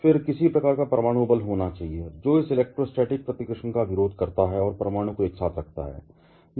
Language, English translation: Hindi, Then, there has to have some kind of nuclear force, which opposes this electrostatic repulsion and keeps the nucleons together